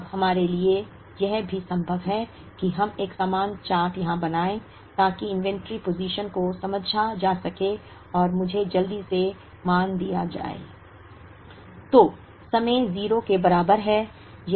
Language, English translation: Hindi, Now, it is also possible for us to draw a similar chart here, to understand the inventory positions and let me just quickly give you the values